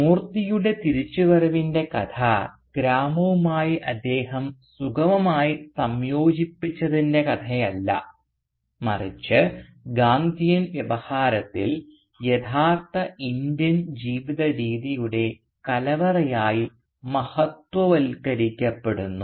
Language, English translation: Malayalam, Thus the story of Moorthy's return is not that of his smooth integration into the village which is otherwise so exalted in the Gandhian Discourse as the repository of the true Indian way of life